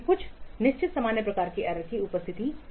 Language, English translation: Hindi, For the presence of certain certain common kinds of errors